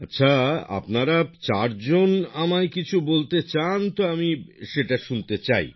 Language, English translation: Bengali, Well, if all four of you want to say something to me, I would like to hear it